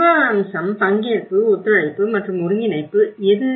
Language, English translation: Tamil, Which is a governance aspect, the participation, cooperation and the coordination